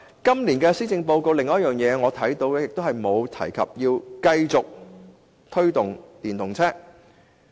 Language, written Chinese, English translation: Cantonese, 今年的施政報告的另一個問題，是沒有提及推動電動車。, Another problem with the Policy Address this year is that it has failed to mention the promotion of electric vehicles